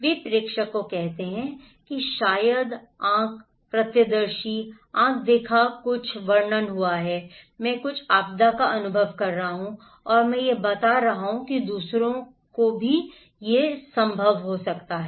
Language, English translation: Hindi, They could be senders or maybe eye, eyewitness, eye watched maybe I, I am experiencing some disaster and I am conveying that relaying that to others it is possible